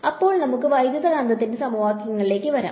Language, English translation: Malayalam, Then let us come to the equations of electromagnetics